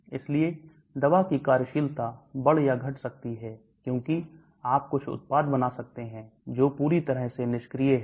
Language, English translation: Hindi, So the drug action may increase or decrease, because you may form some products which are totally inactive